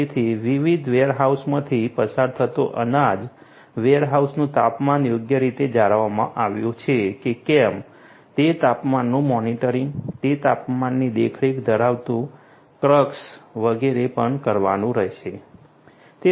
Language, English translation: Gujarati, So, food grains going through different warehouses whether the temperature of the warehouses have been properly maintained, monitoring of those temperatures, the crux carrying those temperature monitoring etcetera, those will also have to be done